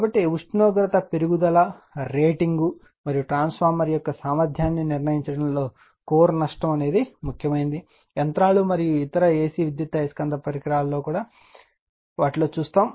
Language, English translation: Telugu, So, core loss is important in determining temperature rise, rating and efficiency of transformer, we will see that right, machines and other your AC operated electro your what you call AC operated in electromagnetic devices